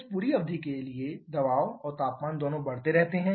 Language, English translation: Hindi, For this entire duration both pressure and temperature keeps on increasing